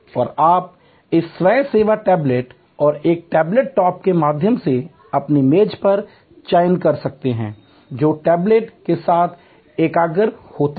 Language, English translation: Hindi, And you can make selection on your table through this self service tablet and a table top, which integrates with the tablet